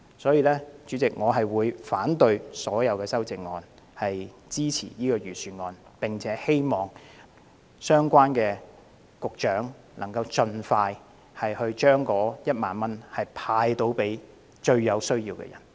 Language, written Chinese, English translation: Cantonese, 因此，我會反對所有修正案，支持預算案，並且希望相關局長能夠盡快向最有需要的人派發1萬元。, Therefore I will oppose all amendments and support the Budget . I also urge the Directors of Bureaux concerned to disburse 10,000 to the people most in need as soon as possible